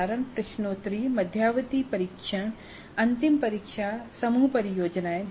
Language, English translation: Hindi, Examples are quizzes, midterm tests, final examinations, group projects